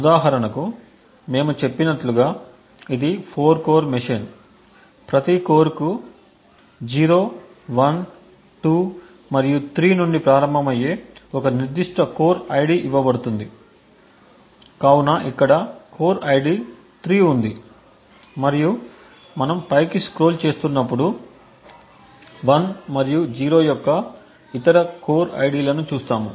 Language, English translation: Telugu, For example over here since we have mentioned that this is 4 core machine, so each core is given a particular core ID starting from 0, 1, 2 and 3, so the core ID for example over here is 3 and as we scroll upwards we see other core IDs of 1 and 0 and so on